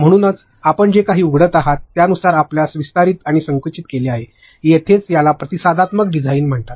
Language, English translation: Marathi, So, it gets you know expanded and compressed according to whatever you are opening, it responds that is where it is called responsive design